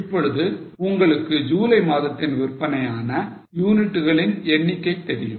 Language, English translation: Tamil, Now you know the number of units sold in the month of July